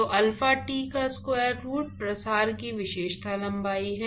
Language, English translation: Hindi, So, square root of alpha T is the characteristic length of diffusion